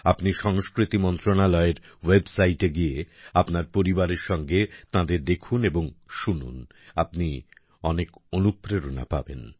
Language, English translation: Bengali, While visiting the website of the Ministry of Culture, do watch and listen to them with your family you will be greatly inspired